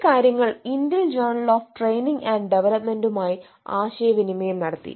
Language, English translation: Malayalam, It has been eh ah communicated to Indian journal of training and development